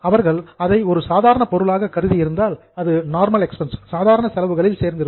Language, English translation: Tamil, If they would have treated as a normal item, it would have come in the normal expenses